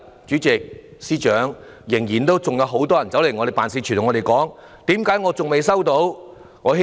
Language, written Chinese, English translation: Cantonese, 主席、司長，直至今天，仍然有很多人來到我們的辦事處詢問為何仍未收到款項。, President and Financial Secretary even today many people still come to our office to ask why they still have not received the money